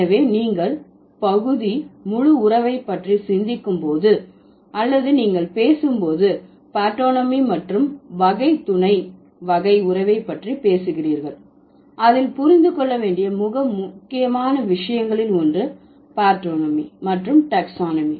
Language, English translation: Tamil, So when you are thinking about the part whole relation, that means you are talking about partanomy and when you are talking about the type sub type relation, you are talking about the taxonomy, right